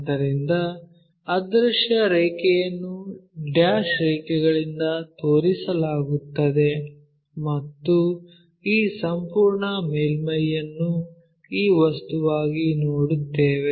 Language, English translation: Kannada, So, invisible line is dashed line and this entire surface we will see it as this object